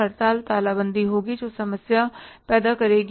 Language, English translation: Hindi, There will be strikes, lockouts that will create a problem